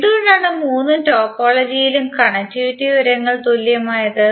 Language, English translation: Malayalam, Why because the connectivity information in all the three topologies are same